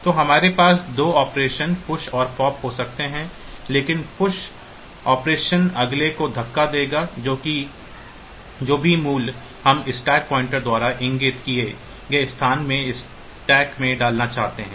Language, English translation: Hindi, So, we can have 2 operations push and pop, but the push operation will push the next whatever the value that we want to put into the stack into the location pointed to by stack pointer